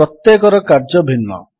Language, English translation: Odia, Each one has a different function